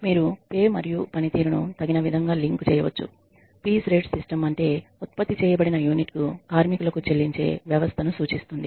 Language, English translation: Telugu, You can link pay and performance appropriately piece rate systems refer to systems where workers are paid per unit produced